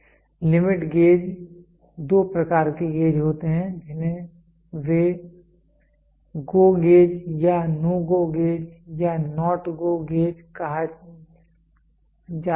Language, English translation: Hindi, The limit gauge there are two types of gauge they are called as GO gauge or NO GO gauge or NOT GO gauge